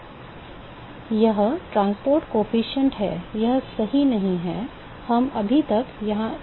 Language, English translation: Hindi, It transport coefficient, that is not there right, we do not know that yet